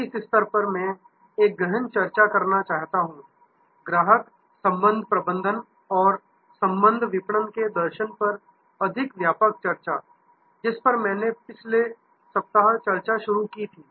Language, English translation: Hindi, At this stage, I want to get into a deeper discussion, a more extensive discussion on customer relationship management and the philosophy of relationship marketing, which I had started discussion, discussing last week